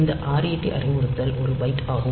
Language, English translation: Tamil, So, this is ret instruction is one byte